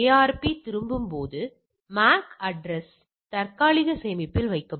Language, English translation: Tamil, When ARP returns the MAC address is placed on the cache